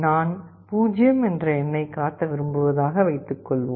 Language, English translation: Tamil, Let us say if I want to display the character 0